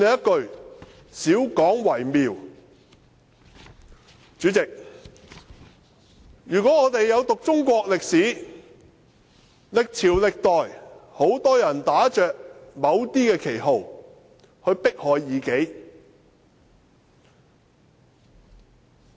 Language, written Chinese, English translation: Cantonese, 代理主席，如果我們有讀中國歷史，歷朝歷代，很多人打着某些旗號去迫害異己。, Deputy President if we have studied Chinese history we will know that many people persecuted their adversaries under various banners in the past eras and dynasties